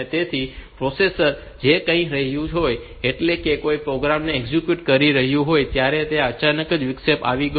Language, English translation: Gujarati, So, the processor it was doing something it was executing some program, all on a sudden the interrupt has occurred